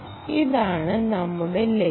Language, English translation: Malayalam, this is the goal